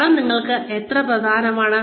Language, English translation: Malayalam, How important is money to you